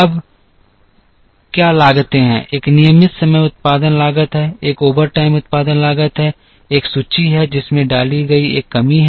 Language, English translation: Hindi, Now, what are the costs there is a regular time production cost there is a overtime production cost there is an inventory carrying cast there is a shortage cost